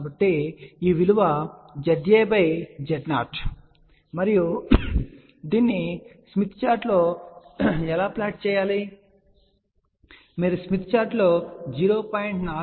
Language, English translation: Telugu, So, Z A by Z 0 which is this value and how do we plot this on the smith chart, you locate 0